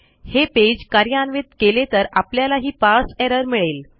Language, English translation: Marathi, If I try to run this page here, we get this error here